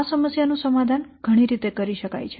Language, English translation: Gujarati, There are several ways in which this problem can be solved